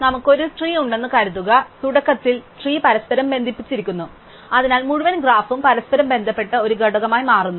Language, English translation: Malayalam, So, supposing we have a tree, so initially the tree is connected by a definition, so the entire graph forms one connected component